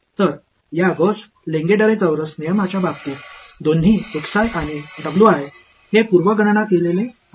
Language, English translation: Marathi, So, in the case of these Gauss Lengedre quadrature rules both the x i's and the w i’s these are pre computed